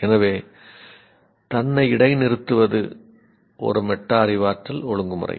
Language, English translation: Tamil, So, pausing itself is a metacognitive regulation